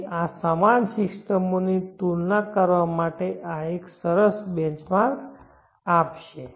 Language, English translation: Gujarati, So this would give a nice benchmark for comparing other similar systems